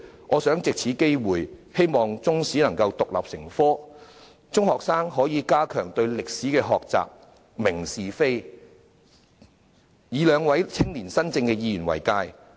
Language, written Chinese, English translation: Cantonese, 我藉此機會，希望中史能夠獨立成科，中學生可以加強對歷史的學習，明辨是非，以兩位青年新政的議員為鑒。, I would like to take this opportunity to express my hope that Chinese History can be made an independent subject which allows secondary students to enhance their learning of Chinese history and distinguish right from wrong . They should draw a lesson from the two Youngspiration Members